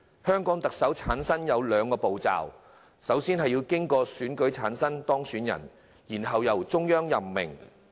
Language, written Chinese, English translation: Cantonese, 香港特首的產生過程分兩部分，首先經過選舉產生候任特首，然後由中央任命。, The election of the Chief Executive of Hong Kong consists of two parts first the election of the Chief Executive by voting and second the appointment by the Central Government